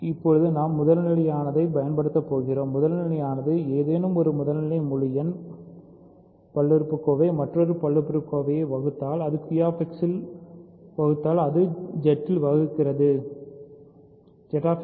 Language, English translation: Tamil, Now, we are going to use the primitiveness, f is primitive; if any primitive integer polynomial divides another a polynomial, it divides in if it divides in Q X it also divides in Z X